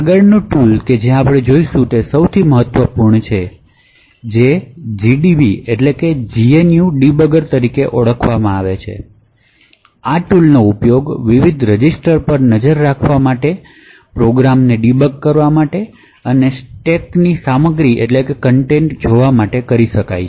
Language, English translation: Gujarati, The next tool that we will actually look at is the most important so that is known as the gdb gnu debugger and this tool can be used to actually debug this program look at the various registers, look at the stack contents and so on